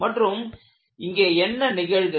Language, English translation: Tamil, What happens here